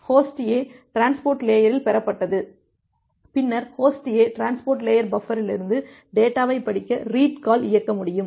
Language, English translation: Tamil, Received at the transport layer of host A, then host A can execute the read call to read the data from the transport layer buffer